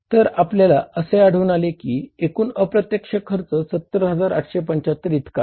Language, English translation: Marathi, Total indirect expenses they come up as 70,875